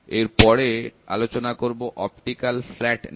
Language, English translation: Bengali, So, next one is optical flat